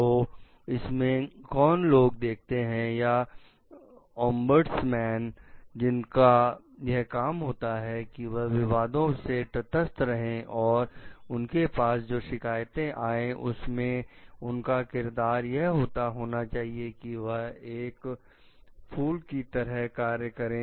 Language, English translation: Hindi, So, who like who are like looking in the or ombudsman whose job it is to remain neutral to the controversies and to whom the complainants of their which talk of their; their role is like that of a bridge